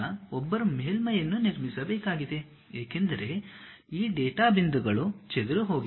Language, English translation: Kannada, Now, one has to construct a surface, because these data points are scattered